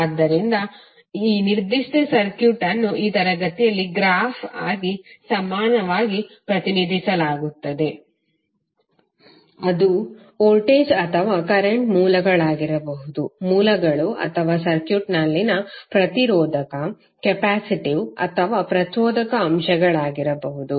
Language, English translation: Kannada, So this particular circuit will be equally represented as a graph in this session which will remove all the elements there may the sources that may be the voltage or current sources or the resistive, capacitive or inductive elements in the circuit